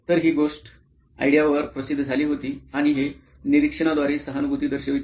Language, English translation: Marathi, So, this was the case that also was published on ideo and this demonstrates empathy through observation